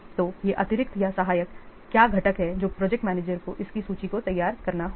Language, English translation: Hindi, So these are the additional or the supporting components that the project manager must prepare this list